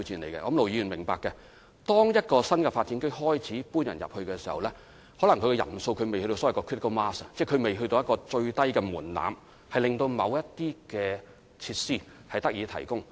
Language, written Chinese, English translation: Cantonese, 相信盧議員也明白，當市民剛開始遷入一個新發展區時，可能人數仍未達到所謂的 critical mass， 即未達到最低的門檻，令某些設施得以提供。, I believe Ir Dr LO will also understand that when residents have just moved into an NDA their number may not reach the so - called critical mass which is the lowest threshold for the provision of certain facilities